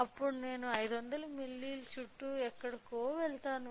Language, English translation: Telugu, Then, I will go with somewhere around 500 milli